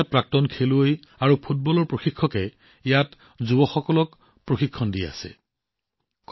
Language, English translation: Assamese, Today, many noted former football players and coaches are imparting training to the youth here